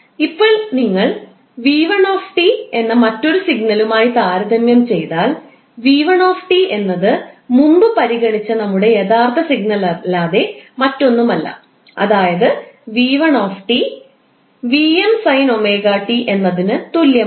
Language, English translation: Malayalam, So, now if you compare with another signal which is V1T and V1T is nothing but our original signal which we considered previously, that is V1 t is equal to vm sine omega t